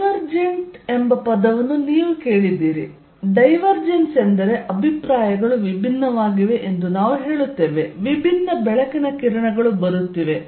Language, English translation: Kannada, You heard the word divergent, divergence means we say views are diverging, there is diverging light rays coming